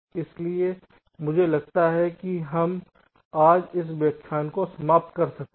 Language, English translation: Hindi, so i thing we can just end today this lecture